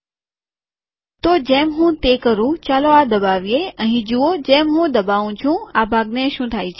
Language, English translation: Gujarati, So as I do it, lets click this, look at this as I click what happens to this part